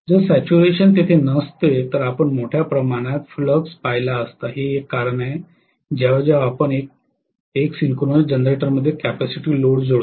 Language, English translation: Marathi, If the saturation had not been there you would have seen a huge amount of flux that is one reason why whenever, you connect a capacitive load in a synchronous generator